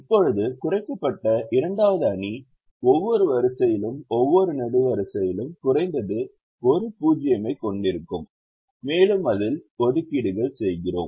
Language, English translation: Tamil, now the second reduced matrix will have atleast one zero in every row and every column and we make assignments in it